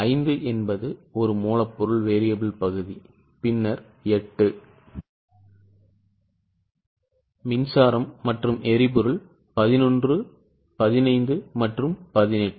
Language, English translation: Tamil, 5 is a raw material variable coercion then 8, power and fuel 11, 11 15 and 18